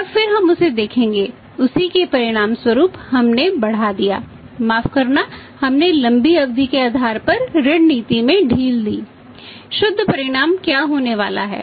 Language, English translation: Hindi, And then we will see that as a result of that increased sorry relax credit policy on the long term basis what is going to be the net result